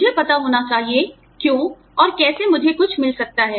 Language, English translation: Hindi, I should know, why, and how, I can get something